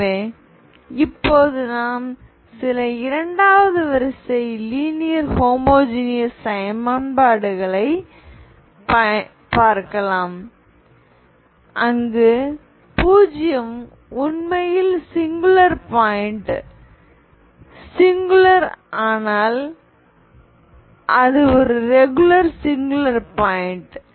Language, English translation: Tamil, So now we can look into some second order linear homogeneous equations where 0 is actually singular point, singular but it is a regular singular point